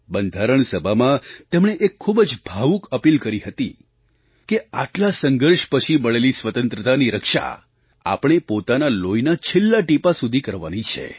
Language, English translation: Gujarati, He had made a very moving appeal in the Constituent Assembly that we have to safeguard our hard fought democracy till the last drop of our blood